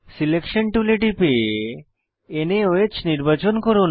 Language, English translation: Bengali, Click on Selection tool and select NaOH